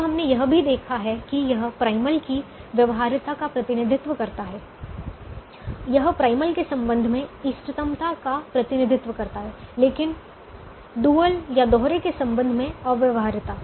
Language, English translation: Hindi, this represents a feasibility of the primal, this represents the optimality with respect to the primal, but feasibility with respect to the dual